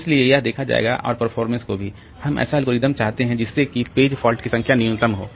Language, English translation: Hindi, And the performance, so I want an algorithm which will result in minimum number of page faults